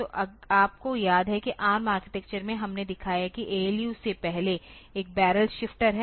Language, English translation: Hindi, So, you remember that in the ARM architecture we have shown that or before the ALU there is a barrel shifter